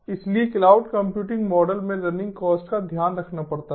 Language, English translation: Hindi, so running costs have to be taken care of in the cloud computing model